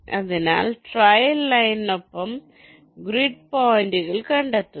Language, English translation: Malayalam, so along the trail line, all its grid points are traced